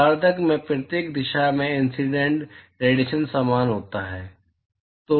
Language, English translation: Hindi, At every direction in the hemisphere the incident irradiation is the same